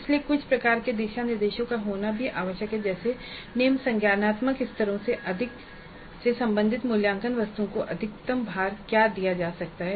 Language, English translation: Hindi, So it's also necessary to have some kind of a guidelines like what would be the maximum weight is that can be given to assessment items belonging to the lower cognitive levels